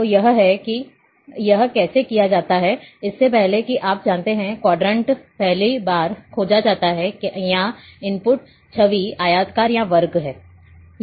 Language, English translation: Hindi, So, this is how what would, what it is done, before, before you know, the quadrant are searched, first it is searched, whether the input image is rectangular or a square